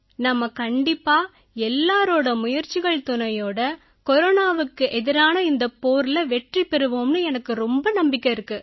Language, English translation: Tamil, and I am sure that with everyone's efforts, we will definitely win this battle against Corona